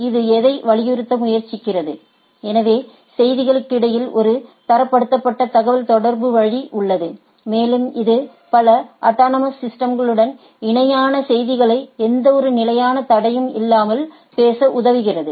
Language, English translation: Tamil, What it tries to emphasize, so there is a standardized way of communication between the with the messages, and it also helps in talking with several autonomous systems without any with standard messages without any hindrance